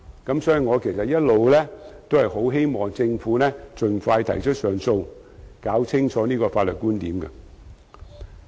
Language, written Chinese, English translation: Cantonese, 因此，我其實一直也希望政府盡快提出上訴，以釐清有關法律觀點。, For this reason actually I have long been hoping that the Government will expeditiously lodge an appeal for a clarification of such points of law